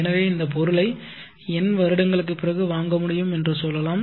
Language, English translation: Tamil, So let us say that we are able to purchase after n years with this money this item